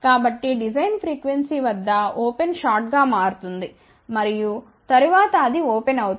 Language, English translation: Telugu, So, at the design frequency open will become short and then it will become open